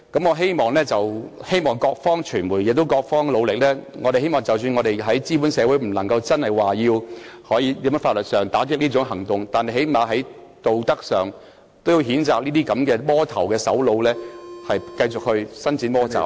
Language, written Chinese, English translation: Cantonese, 我希望傳媒亦在各方努力，即使在資本主義社會中無法在法律上打擊這種情況，但最低限度在道德上，也要譴責這種"魔頭"的首腦繼續伸展魔爪......, What kind of return is that? . I hope the media will also make their efforts on various fronts . Even if we cannot tackle such a situation by law in a capitalist society at least in terms of morals we need to condemn the culprit behind such a monster for continuing to extend the evil clutches